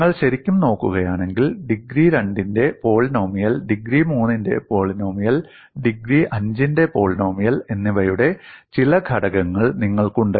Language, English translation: Malayalam, If you really look at, you have certain elements of polynomial of degree 2, polynomial of degree 3, and polynomial of degree 5